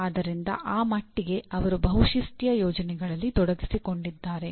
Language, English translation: Kannada, So to that extent they are involved in multidisciplinary projects